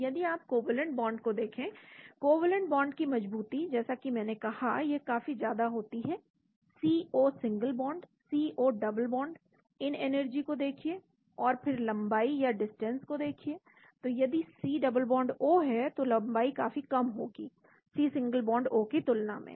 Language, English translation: Hindi, So if you look at covalent bond the strengths of covalent bond as I said they are quite large C O single bond, C O double bond look at these energies, and again look at the distances, so if C double bond O, the distance is going to be much smaller than C single bound O